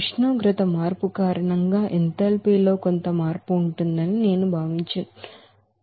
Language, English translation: Telugu, If I consider that there will be a certain change of enthalpy due to the temperature change